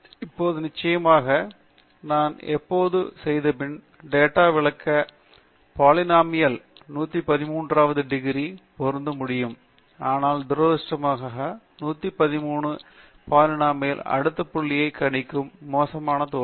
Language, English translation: Tamil, Now, of course, I can always fit a polynomial of 113th degree to explain the data perfectly, but unfortunately the 113th degree polynomial will fail miserably in predicting the next point